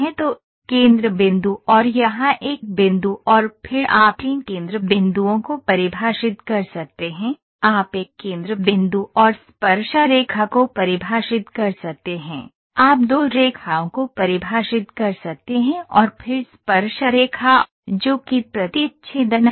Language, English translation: Hindi, So, centre point and a point here and then you can define 3 centre points, you can define a centre point and the tangent to, you can define 2 lines and then tangent to, which is intersecting